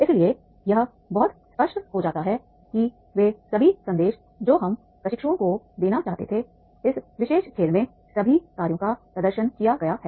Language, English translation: Hindi, So, therefore it becomes very, very clear that is the all the messages we wanted to give to the trainees, these all functions have demonstrated in this particular game